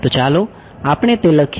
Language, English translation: Gujarati, So, let us write that out